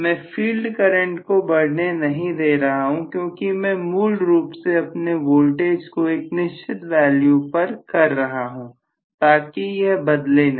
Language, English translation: Hindi, I am not allowing the field current to increase because I am keeping basically my voltage applied as a constant so it is not going to change